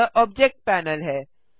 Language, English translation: Hindi, This is the Object Panel